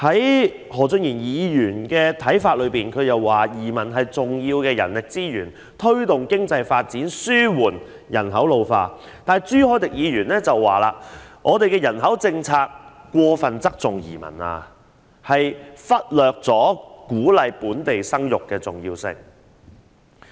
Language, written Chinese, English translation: Cantonese, 按何俊賢議員的看法，移民是重要的人力資源，可推動經濟發展、紓緩人口老化，但朱凱廸議員則認為我們的人口政策過分側重移民，忽略鼓勵本地生育的重要性。, According to Mr Steven HO new immigrants are important manpower resources contributing to the promotion of economic development and alleviating the problem of ageing population but Mr CHU Hoi - dick is of the view that our population policy has put too much emphasis on inward migration and neglected the importance of encouraging childbirth among local citizens